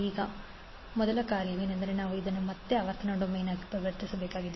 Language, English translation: Kannada, Now first task is that again we have to transform this into frequency domain